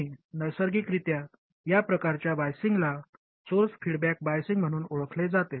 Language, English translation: Marathi, And this type of biasing naturally is known as source feedback bias